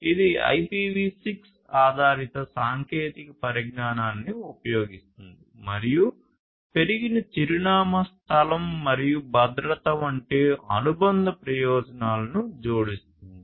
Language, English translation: Telugu, It uses the IPv6 based technology and adds the associated benefits such as increased address space and security